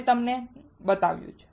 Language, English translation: Gujarati, I have shown it to you